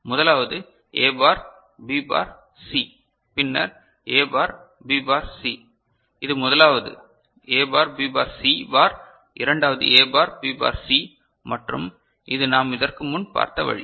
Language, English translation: Tamil, So, the first one is A bar B bar C then A bar B bar C so, this is, first one is A bar B bar C bar second one is A bar B bar C and this is the way that we have seen it before alright